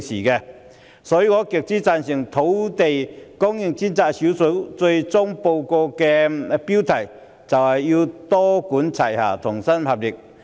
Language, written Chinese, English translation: Cantonese, 因此，我極之贊成專責小組最終報告的標題，必須多管齊下，同心協力。, Therefore I strongly agree to the meaning of the title the Task Forces final report that we must work together to strive for land supply with a multi - pronged approach